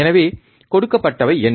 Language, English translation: Tamil, So, what is the given